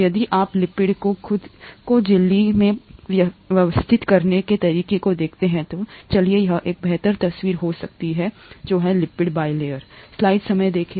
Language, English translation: Hindi, The, if you look at the way the lipids have organised themselves in the membrane there are, let’s go here it might be a better picture; there are lipid bilayers